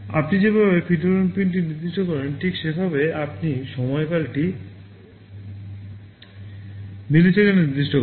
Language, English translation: Bengali, In the same way you specify a PWM pin, you specify the period in milliseconds